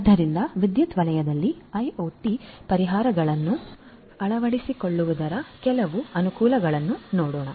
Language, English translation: Kannada, So, let us look at some of the advantages of the adoption of IoT solutions in the power sector